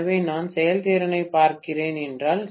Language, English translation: Tamil, So, if I am looking at efficiency, right